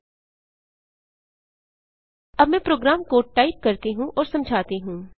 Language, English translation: Hindi, Let me type and explain the program code